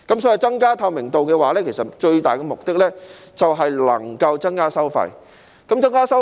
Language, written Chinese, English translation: Cantonese, 所以，增加透明度的最大目的是能夠減低收費。, For this reason the key objective of increasing transparency is to reduce fees